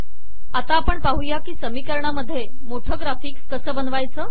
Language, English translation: Marathi, We will now show to create large graphics in equations